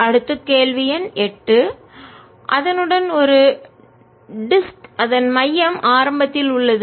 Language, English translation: Tamil, next question number eight: a disc with its centre at the origin